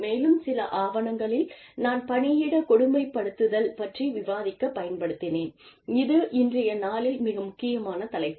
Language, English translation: Tamil, And, there are a few more papers, that have informed me, or that i have used to discuss, workplace bullying, which is a very, very, important topic, in today's day and age